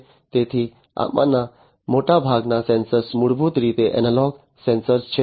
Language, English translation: Gujarati, So, most of these sensors basically; most of these sensors are basically analog sensors